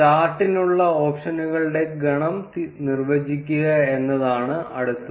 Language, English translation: Malayalam, Next is defining the set of options for the chart